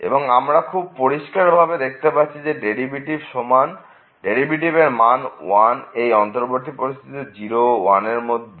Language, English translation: Bengali, And, then we clearly see the derivative is 1 everywhere here between these two 0 and 1 open interval 0 and 1